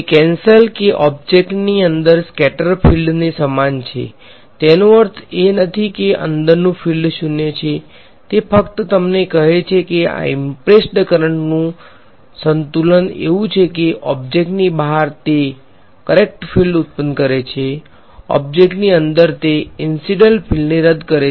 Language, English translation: Gujarati, Cancelled or equal to the scattered field inside the object that does not mean that the field inside is 0, it just tells you that this balance of these impressed currents as they called is such that outside the object it produces the correct field; inside the object it cancels the incident field